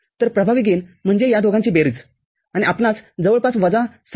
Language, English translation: Marathi, So, effective gain is summation of these two and we get an approximate slope of minus 6